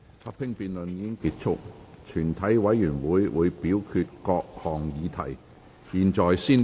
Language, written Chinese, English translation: Cantonese, 合併辯論已結束，全體委員會會表決各項議題。, The joint debate has come to a close . The committee will proceed to voting of the questions